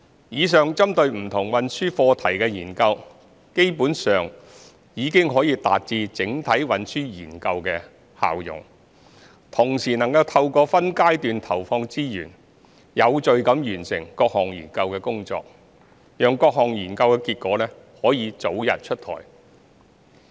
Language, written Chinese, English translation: Cantonese, 以上針對不同運輸課題的研究基本上已達至整體運輸研究的效用，同時能透過分階段投放資源，有序地完成各項研究工作，讓各項研究結果可早日出台。, The above studies on different transport topics can basically serve the purpose of a CTS . Moreover we can have early promulgation of the findings of each study through progressive deployment of resources and completion of the studies in an orderly manner